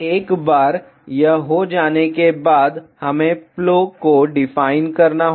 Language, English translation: Hindi, Once this is done we have to define the Plo